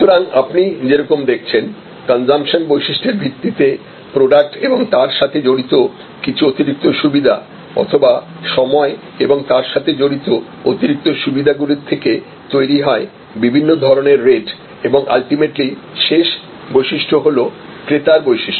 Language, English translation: Bengali, So, ultimately as you are seeing based on consumption characteristics product and product related additional benefits or time and time related additional benefits leads to different kinds of rates and ultimately the last characteristics is buyer characteristics